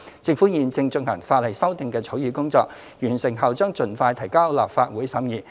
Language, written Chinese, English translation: Cantonese, 政府現正進行法例修訂的草擬工作，完成後將盡快提交立法會審議。, The Government is in the process of drafting the legislative amendments and will submit them to the Legislative Council for scrutiny as soon as practicable upon completion